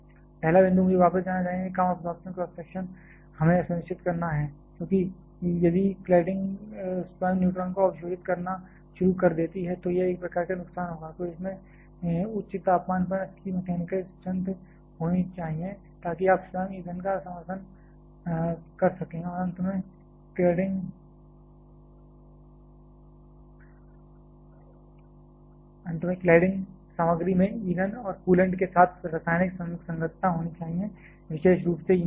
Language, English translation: Hindi, The first point I must go back, low absorption cross section we have to ensure; because if the cladding itself starts absorbing neutron then that will be a type of loss, then it should have good mechanical strength at high temperature so that you can support the fuel itself and finally, cladding material should have chemical compatibility with the fuel and the coolant particularly with the fuel